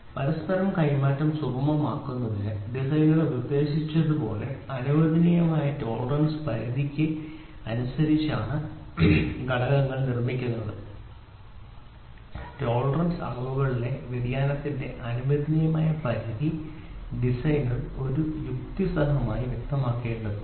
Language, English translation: Malayalam, The components are manufactured in accordance with the permissible tolerance limit as suggested by the designer to facilitate interchangeability, tolerance the permissible limit of variation in dimensions have to be specified by the designer in a logical manner giving due consideration to the functioning requirement